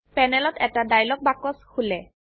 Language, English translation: Assamese, A dialog box opens on the panel